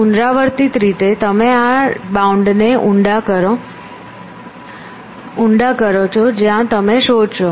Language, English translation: Gujarati, So, iteratively you deepen this bound to which you will search